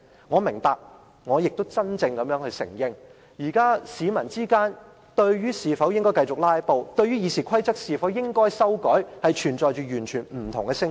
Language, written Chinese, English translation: Cantonese, 我明白亦承認，現時市民對應否繼續"拉布"和《議事規則》應否修改的問題，存在完全不同的聲音。, I understand and also concede that members of the public hold diametrically opposed views on whether Members should continue to filibuster and whether RoP should be amended